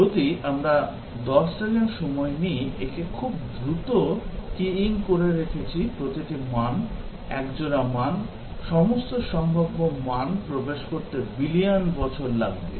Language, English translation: Bengali, If we take 10 seconds, keying it very fast, each value, pair of value, it will take billion years to enter all possible values